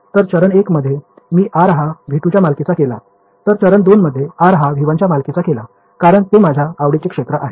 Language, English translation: Marathi, So, in step 1 I made r belong to v 2 in step 2 I make r belong to v 1 because that is my region of interest